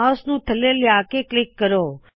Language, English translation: Punjabi, Move the mouse to the bottom and click